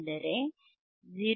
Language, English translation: Kannada, So that, 0